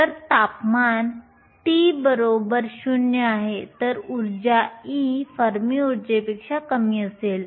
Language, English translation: Marathi, So, at temperature t equal to 0 if you are energy e is less than the Fermi energy